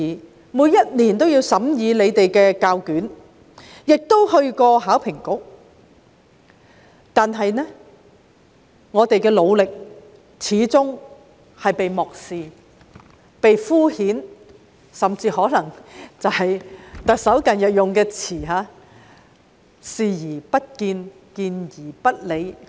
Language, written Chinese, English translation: Cantonese, 我們每年均審議教育局的試卷，亦嘗試聯絡香港考試及評核局，但我們的努力始終被漠視、被敷衍，甚至可以套用特首近日的說法，就是"視而不見、見而不理"。, We have been scrutinizing the examination papers of EDB and tried to get in touch with the Hong Kong Examinations and Assessment Authority every year . However our efforts have all along been disregarded and downplayed . I may even borrow the recent remarks made by the Chief Executive that EDB has turned a blind eye to or ignored us